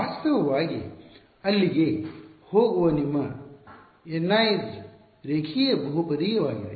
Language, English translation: Kannada, In fact, your N i es there going to they are linear polynomial